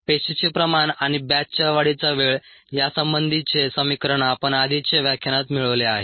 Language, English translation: Marathi, we have already derived the equation relating the cell concentration and time in batch growth in the previous lecture